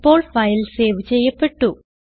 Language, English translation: Malayalam, So the file is now saved